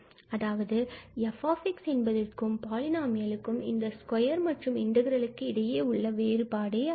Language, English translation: Tamil, So, this is what we have defined this error, the difference between this f and this polynomial here with this square and then integral